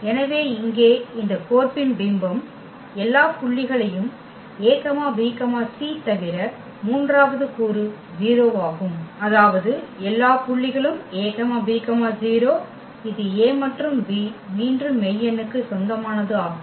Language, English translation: Tamil, So, here the image of this mapping is nothing but all the points a b c whose third component is 0; that means, all the points a b 0; for a and b this belongs to again the real number